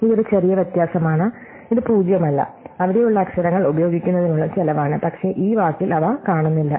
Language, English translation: Malayalam, So, this is a slight difference, it is not zero, but it is the cost of using up the letters which are there, which are missing in this word